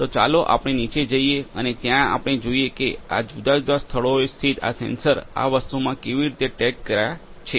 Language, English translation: Gujarati, So, let us go downstairs and there we can see that how these sensors located at different places are tagged in this thing